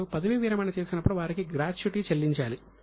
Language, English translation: Telugu, When they retire, they have to be paid with gratuity